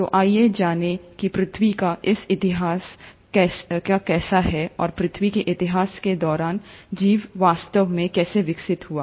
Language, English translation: Hindi, So, let’s get to how the history of earth is, and how life really evolved during this history of earth